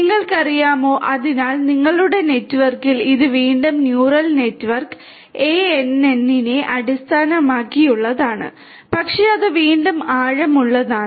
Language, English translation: Malayalam, You know, so it deep in your network is again based on neural network ANN’s, but its again with deep deep